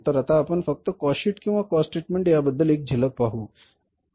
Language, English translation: Marathi, So let's just a glimpse have a glimpse of the cost sheet or the statement of the cost